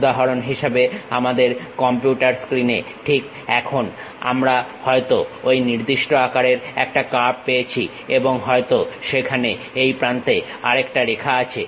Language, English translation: Bengali, For example, on our computer screen right now we might be having a curve of that particular shape, and perhaps there is one more line on this edge